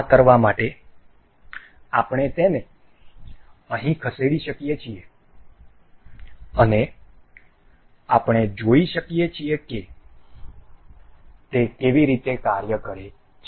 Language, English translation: Gujarati, To do this, we can move this here and we can see how it works